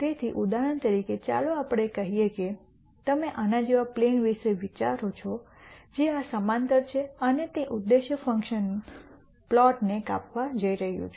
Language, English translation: Gujarati, So, for example, let us say you think of a plane like this which is parallel to this and it is going to cut the objective function plot